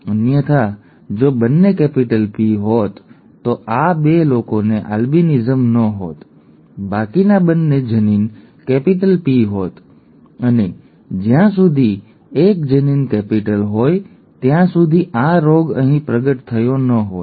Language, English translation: Gujarati, if both had been capital P then these 2 people would not have had albinism, theÉ both the other allele would have been capital P and as long as one allele was capital then the disease would not have been manifested here